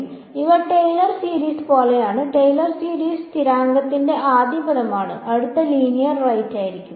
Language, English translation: Malayalam, So, these are like the Taylor series this is the first term of the trailer series constant the next would be linear right